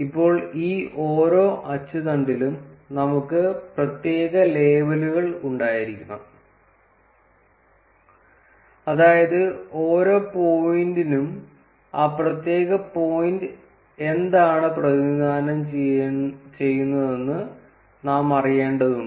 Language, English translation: Malayalam, Now in each of these axes, we need that we have particular labels, which is that for each point we need to know that what that particular point represents